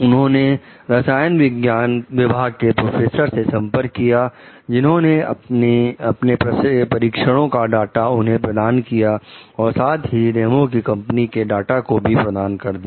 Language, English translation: Hindi, He contacts the professors in the chemistry department, who furnish him with data from their tests, as well as with data from Ramos s company